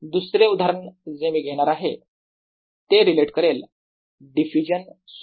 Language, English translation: Marathi, another example of this i am going to take relates to diffusion